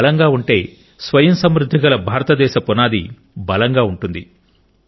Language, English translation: Telugu, If they remain strong then the foundation of Atmanirbhar Bharat will remain strong